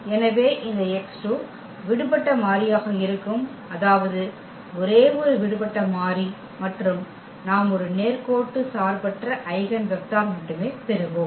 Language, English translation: Tamil, So, this x 2 is going to be the free variable; that means, only one free variable and we will get only one linearly independent eigenvector